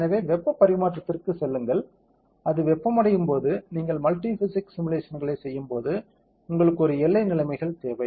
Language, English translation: Tamil, So, go to heat transfer, now when it gets heated when you are doing a multi physics simulation you need a give boundary conditions